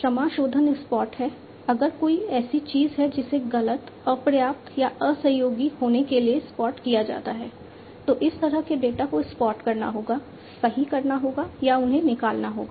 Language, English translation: Hindi, Clearing is spot, if there is something that is spotted to be incorrect, insufficient or uncooperative then that kind of data will have to be spotted, corrected or they have to be removed